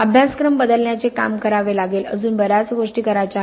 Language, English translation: Marathi, We have to work on changing curriculum; there are still many more things to do